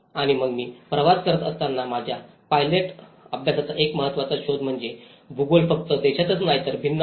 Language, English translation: Marathi, And then, while I was travelling one of the important finding in my pilot study was the geography is very different not only in land